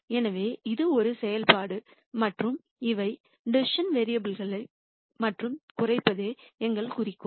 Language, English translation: Tamil, So, this is a function and these are the decision variables and our goal is to minimize